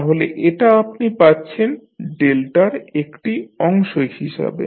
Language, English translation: Bengali, So, this is what you will get as part of your delta